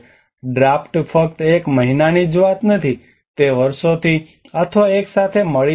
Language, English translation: Gujarati, A draught is not just only a matter of one month, it may come from years of years or together